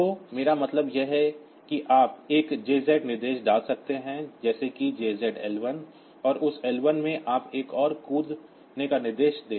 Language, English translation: Hindi, So, what I mean is that you can put a JZ instruction like say JZ L 1 and that L 1 you put another I am sorry in this L 1, you put say another jump instruction